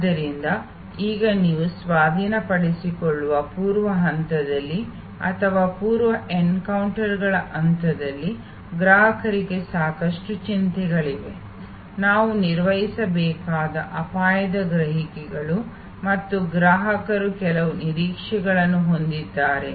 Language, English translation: Kannada, So, now you are coming to the key point that in the pre acquisition stage or the pre encounters stage, customer has lot of worries, risk perceptions which we have to manage and customer has certain expectations